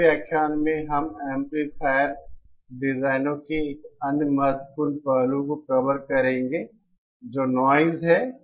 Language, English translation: Hindi, In the next lecture, we shall be covering another important aspect of amplifier designs which is noise